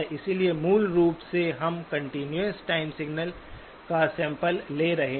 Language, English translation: Hindi, So basically we are sampling the continuous time signal